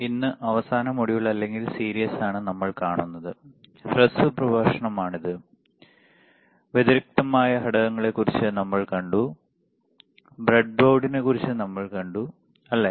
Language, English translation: Malayalam, So, last module or series, short lecture, we have seen about the discrete components, and we have seen about the breadboard, right